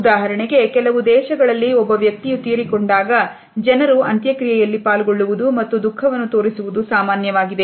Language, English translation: Kannada, For example, in some countries when a person passes away it is common for individuals to attend a funeral and show grief